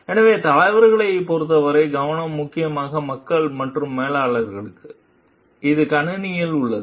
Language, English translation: Tamil, So, leaders the focus is mainly on people and for the managers, it is on the system